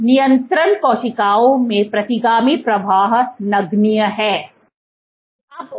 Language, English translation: Hindi, Retrograde flow in control cells was negligible